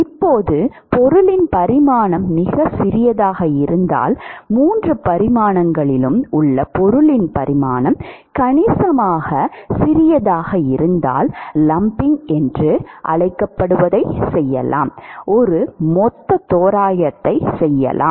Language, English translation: Tamil, Now supposing if the dimensions of the object are very small, is the dimensions of the object in all three dimensions are significantly small, then one can do what is called the lumping of the; one can do a lumping approximation